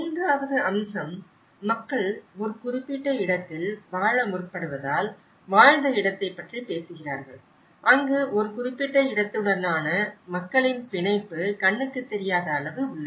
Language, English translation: Tamil, The third aspect, which is talking about the lived space as the people tend to live at a particular place that is where an invisible degree of people's attachment to a certain place